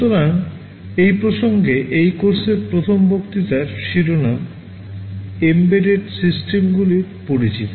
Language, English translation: Bengali, So, in this context the first lecture of this course, is titled Introduction to Embedded Systems